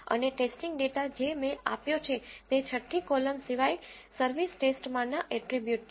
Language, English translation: Gujarati, And the test data set what I have given is the attributes in the service test except the 6th column